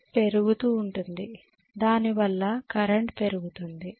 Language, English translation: Telugu, The slip will be increasing because of which the current will increase